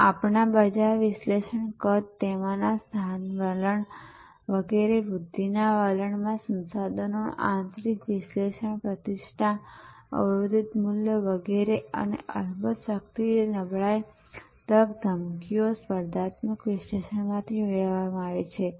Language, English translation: Gujarati, These are derived out of our market analysis, size, , location trends in it etc, in a growth trend, internal analysis of resources, reputation, constrained values etc, and of course, strength, weakness, opportunity, threats, competitive analysis